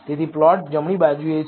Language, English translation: Gujarati, So, the plot is on right hand side